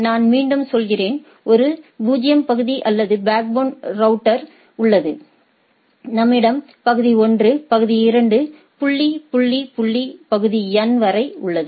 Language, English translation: Tamil, So, there is so, I just to repeat there is a area 0 or backbone router, we have area 1 area 2 dot dot dot area N